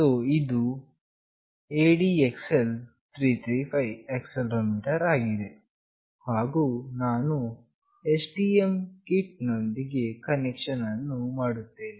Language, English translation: Kannada, So, this is the ADXL 335 accelerometer, and I will be doing the connection with STM kit